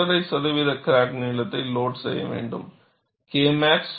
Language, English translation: Tamil, 5 percent of crack length should be loaded such that, K max is less than 0